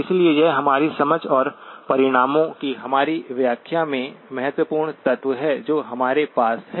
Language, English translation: Hindi, So this is the important element in our understanding and our interpretation of the results that we have